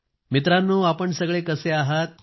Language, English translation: Marathi, Friends, how are you